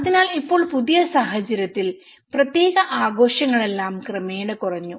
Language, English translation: Malayalam, So, now in the new situation, not particular celebrations have gradually diminished